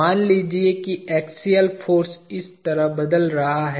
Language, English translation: Hindi, Let us say axial force is changing like this